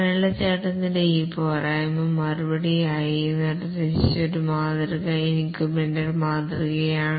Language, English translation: Malayalam, In response to this shortcoming of the waterfall model, one model that was proposed is the incremental model